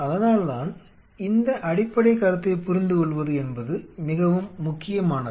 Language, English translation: Tamil, That is why understanding of this fundamental concept is very important we will come back